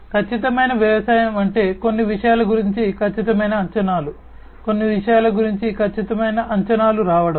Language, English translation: Telugu, Precision agriculture means like you know coming up with precise predictions about certain things, precise predictions about certain things